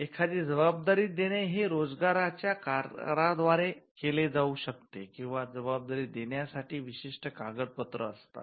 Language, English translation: Marathi, So, an assignment can be by way of an employment contract or they can be a specific document of assignment